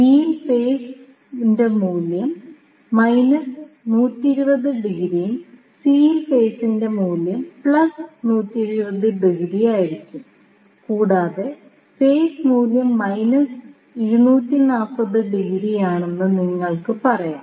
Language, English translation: Malayalam, So, in this case you will see phase value is 0 degree in phase B, you will have phase value minus 120 degree and in C you will have phase value as plus 120 degree, and you can say phase value is minus 240 degree